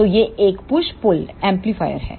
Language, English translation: Hindi, So, this is a push pull amplifier